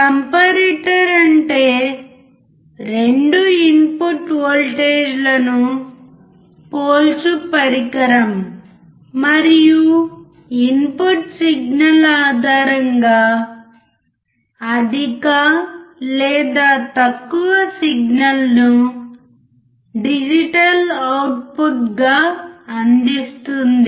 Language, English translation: Telugu, A comparator is a device that compares 2 input voltage and provides a digital output either high or low signal based on the input signal